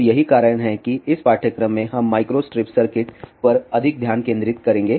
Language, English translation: Hindi, So, that is why in this course we will focus more on the micro strip circuit